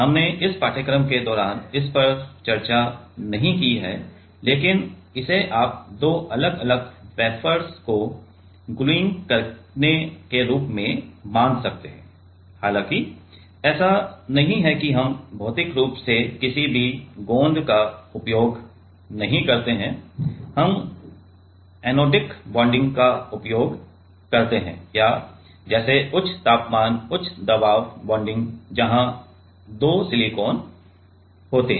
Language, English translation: Hindi, We have not discussed it in the course of in this course, but this you can consider as like gluing two different wafers though it is not we do not use physically any glue we use anodic bonding or like high temperature high pressure bonding where two silicon